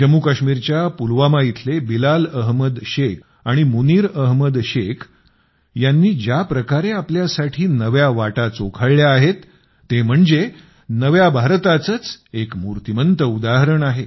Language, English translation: Marathi, The way Bilal Ahmed Sheikh and Munir Ahmed Sheikh found new avenues for themselves in Pulwama, Jammu and Kashmir, they are an example of New India